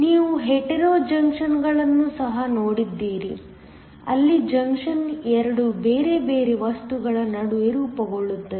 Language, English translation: Kannada, You also have seen hetero junctions, where the junction is formed between 2 different materials